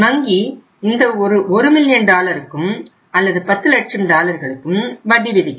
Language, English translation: Tamil, Bank would charge interest on that entire 1 million dollar or the total 10 lakh dollars